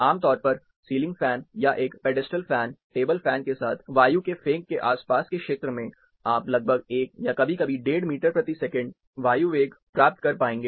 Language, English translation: Hindi, Typically, with the ceiling fan, or a pedestal fan, table fan, you will be able to much closer, around the vicinity of the throw, you will be able to get around, 1, 2, sometimes 1